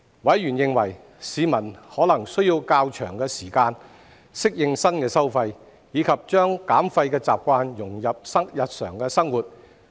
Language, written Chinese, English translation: Cantonese, 委員認為，市民可能需要較長時間適應新收費，以及將減廢習慣融入日常生活。, Members opine that the general public may need a longer period of time to adapt to the new charges and cultivate waste reduction habits in their daily lives